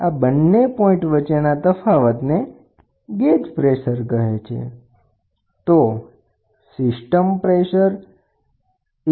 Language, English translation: Gujarati, The difference between these two is called gauge system pressure